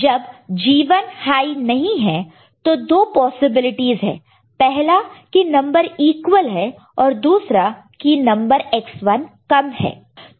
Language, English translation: Hindi, When G 1 is not high, right then two possibilities are there, that the number is equal or number X 1 is less